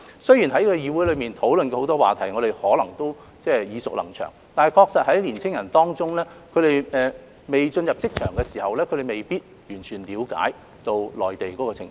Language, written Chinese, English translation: Cantonese, 雖然在議會上討論過的議題很多都耳熟能詳，但對年青人而言，他們尚未進入職場，確實未必能完全了解內地的情況。, Although matters that have been discussed in the Council are familiar to us young people who have not entered the job market may not fully understand the situation in the Mainland